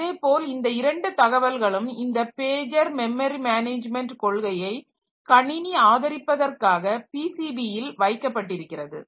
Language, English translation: Tamil, Similarly these two information they are they are to be kept in the PCB for system supporting this pagey pageed memory management policy